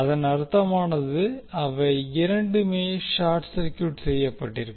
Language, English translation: Tamil, It means that both of them will be short circuited